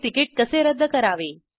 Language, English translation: Marathi, AndHow to cancel the ticket.